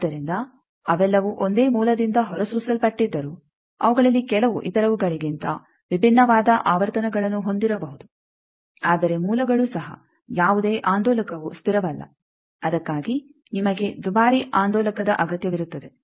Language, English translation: Kannada, So, some of them may be having different frequencies than others though all of them are emitted from the same source, but sources also any oscillator is not a stable one for that you need a costly oscillator